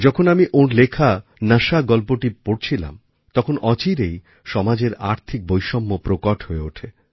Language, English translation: Bengali, While reading one of his stories 'Nashaa', I couldn't help but notice the scourge of economic disparity plaguing society